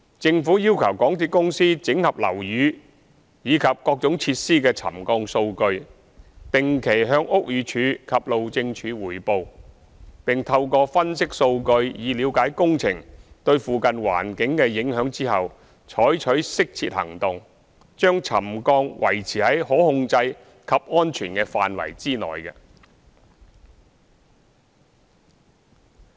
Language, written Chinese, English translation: Cantonese, 政府要求港鐵公司整合樓宇及各種設施的沉降數據，定期向屋宇署及路政署匯報，並透過分析數據以了解工程對附近環境的影響後，採取適切的行動，將沉降維持在可控制及安全的範圍內。, The Government required the MTRCL to consolidate the subsidence data of the buildings and facilities affected for reporting to the Buildings Department BD and the Highways Department the HyD on a regular basis and to take appropriate actions to bring the impacts of subsidence to levels within a controllable and safe range upon conducting analyses on the subsidence data to understand the impacts of the construction works to the surrounding environment